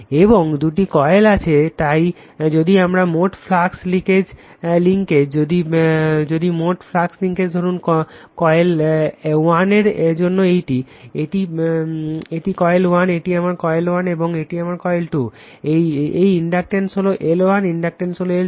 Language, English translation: Bengali, And two coils are there so, if my total flux linkage, if total flux linkages say my phi say this phi 1 for this coil 1, this is coil 1, this is my coil 1, and this is my coil 2, this inductance is L 1, inductance is L 2